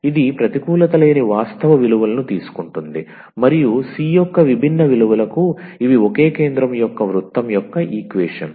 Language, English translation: Telugu, So, it is taking non negative real values and for different different values of c, these are the equations of the circle of the same centre